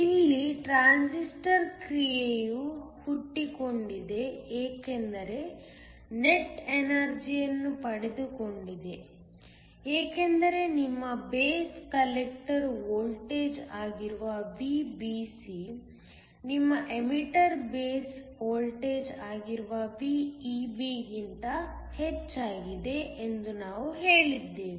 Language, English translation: Kannada, The transistor action here arises because there is a net power gained, because we said that VBC which is your base collector voltage is higher than VEB which is your emitter based voltage